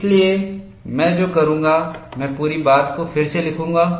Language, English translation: Hindi, So, what I will do is, I will just redo the whole thing